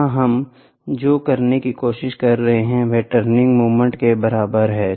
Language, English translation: Hindi, The opposing moment so, here what we are trying to do is turning moment T m is equal to this